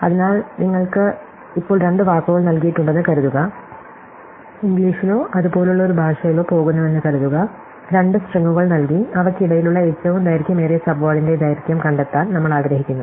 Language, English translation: Malayalam, So, let us suppose we are given two words for the moment, let us just assume they are words in English or a language like that, we given two strings and we want to find the length of the longest common subword between them